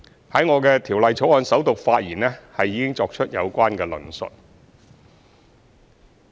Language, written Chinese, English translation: Cantonese, 在我的《條例草案》首讀發言已作出有關的論述。, I have already spoken about this in my speech on the First Reading of the Bill